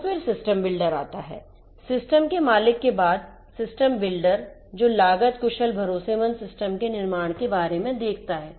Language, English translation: Hindi, So, system then comes the system builder; after the system owner, the system builder who is more concerned about building a cost efficient trust worthy the system